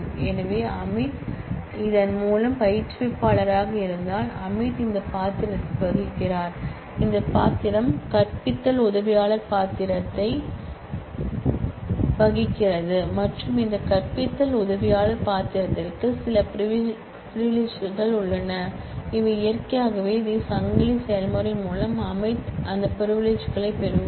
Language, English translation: Tamil, So, if Amit is an instructor by this, then Amit plays this role and this role plays teaching assistant role and this teaching assistant role has certain privileges, so naturally through this chain process Amit will get those privileges